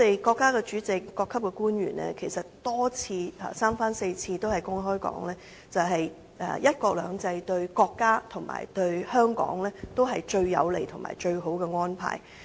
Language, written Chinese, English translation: Cantonese, 國家主席、各級官員三番四次指出，"一國兩制"對國家及香港是最有利、最好的安排。, The Chinese President and officials at various levels have pointed out time and again that one country two systems is the most beneficial arrangement for the country and for Hong Kong